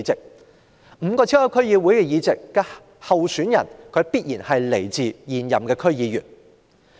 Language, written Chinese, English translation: Cantonese, 就5個超級區議會議席而言，其候選人必須是現任區議員。, For the five super DC seats candidates are required to be incumbent DC members